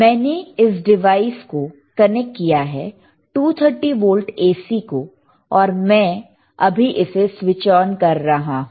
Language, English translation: Hindi, So, I have connected this right device to the 230 volts AC and I am switching it on